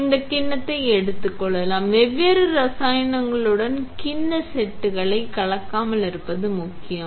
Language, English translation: Tamil, Then you take this bowl set, it is important not to mix up bowl sets with different chemicals